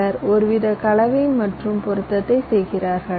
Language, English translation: Tamil, some people they also do some kind of a mix and match